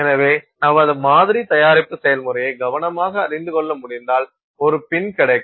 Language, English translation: Tamil, So, if you can know carefully tailor your sample preparation process you will get a pin